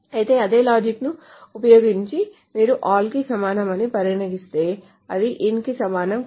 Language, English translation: Telugu, However, using the same logic, if you say equal to all, that is not equivalent to in